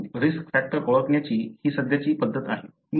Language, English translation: Marathi, But, this is the current practice to identify the risk factor